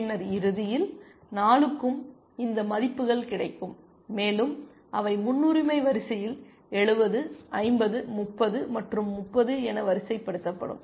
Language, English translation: Tamil, Then, eventually all 4 will get plus these values, and they get sorted 70, 50, 30, and 30 in the priority queue